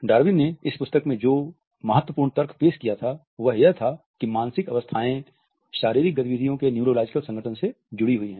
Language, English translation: Hindi, The crucial argument which Darwin had proposed in this book was that the mental states are connected to the neurological organization of physical movement